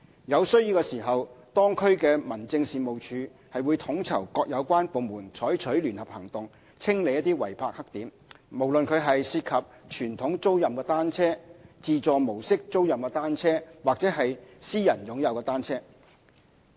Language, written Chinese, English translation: Cantonese, 有需要時，當區民政事務處會統籌各有關部門採取聯合行動，清理違泊黑點，不論是涉及傳統租賃的單車、自助模式租賃的單車或私人擁有的單車。, Where necessary the concerned District Offices will coordinate inter - departmental joint operations on blackspot clearance irrespective of whether the illegally parked bicycles are conventional rental bicycles automated rental bicycles or privately owned bicycles